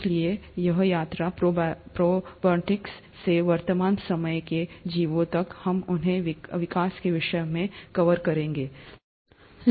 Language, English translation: Hindi, So this journey, all the way from protobionts to the present day organisms, we’ll cover them in the, in the topic of evolution